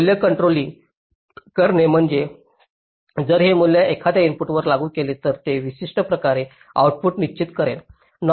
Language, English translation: Marathi, controlling value means if this value is applied on one of the inputs, it will uniquely determine the output